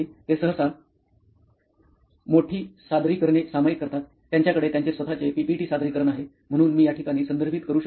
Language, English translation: Marathi, They generally share big presentations; they have their own PPT, so that is something which I refer to